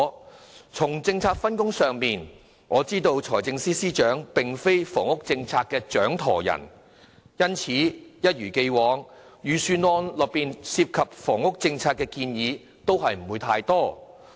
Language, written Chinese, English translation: Cantonese, 我知道，在政策分工上，財政司司長並非房屋政策的掌舵人，因此一如既往，預算案內涉及房屋政策的建議並不太多。, I understand that due to the division of policy responsibilities the Financial Secretary is not the helmsman of the housing policy and therefore as always there are not many initiatives involving the housing policy in the Budget